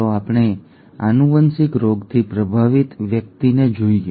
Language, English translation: Gujarati, Let us look at a person affected with a genetic disease